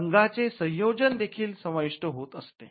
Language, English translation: Marathi, And it can also cover combination of colours